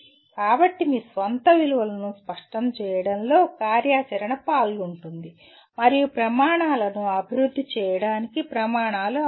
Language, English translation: Telugu, So the activity is involved in clarifying your own values and standards will be required for developing the criteria